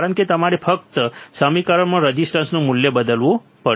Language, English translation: Gujarati, Because you have to just substitute the value of the resistors in the given equation